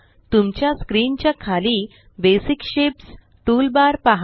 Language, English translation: Marathi, Look at the Basic Shapes toolbar in the bottom of your screen